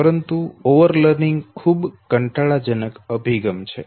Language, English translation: Gujarati, But remember over learning is too tedious an approach, okay